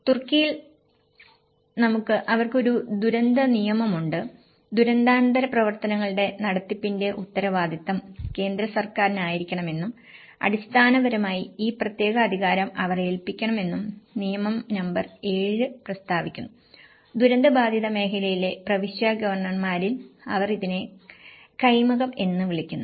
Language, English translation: Malayalam, In Turkey, we have; they also have a disaster law; law number 7 states that the central government, it should be responsible for the management of post disaster activities and basically, they have to delegates this particular authority with, they call it as kaymakam in the provincial governors in the affected region